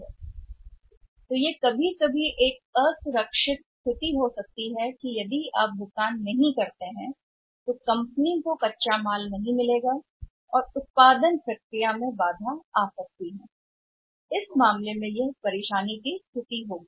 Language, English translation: Hindi, So, that may be vulnerable situation sometimes that if we did not make that was payment company will not get, firm will not get the raw material and the production process may get hampered and if it gets hampered in that case it will be a troublesome situation